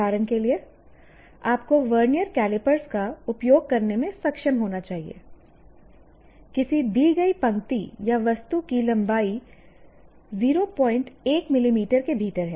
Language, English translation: Hindi, That means, you should be able to measure using vernier calipers the length of a given whatever line or object within, let's say, a 0